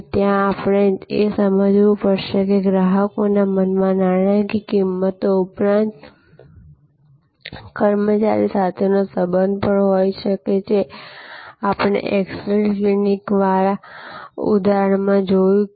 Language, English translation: Gujarati, And there, we have to understand that, in customers mind besides the monitory prices, besides the influence that can be there for personnel relationships from the example, we discussed of that x ray clinic